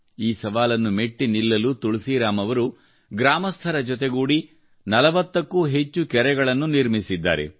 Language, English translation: Kannada, To overcome this challenge, Tulsiram ji has built more than 40 ponds in the area, taking the people of the village along with him